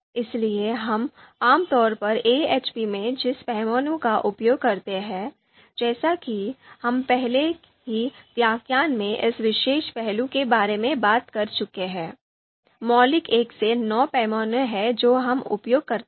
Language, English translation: Hindi, So the scale that we typically use in AHP, you know I have already talked about this particular aspect in previous lecture, that you know more often than not we use the most popular which is fundamental 1 to 9 scale that we use